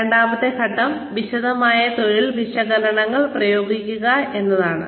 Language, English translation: Malayalam, The second step is to, use detailed job descriptions